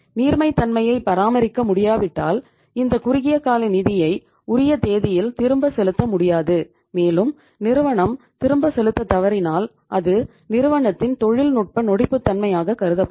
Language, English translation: Tamil, And if you are not able to maintain the liquidity we would not be able to make the payment of these short term funds on the due date and the firm may default and that will be called as the technical insolvency for the firm